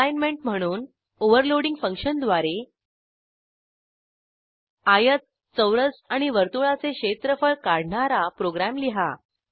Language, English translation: Marathi, As an assignment Write a program that will calculate the area of rectangle, square and circle Using function overloading